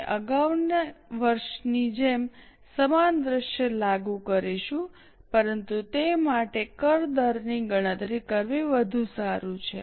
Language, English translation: Gujarati, We will apply same scenario like the earlier year but for that it is better to calculate the tax rate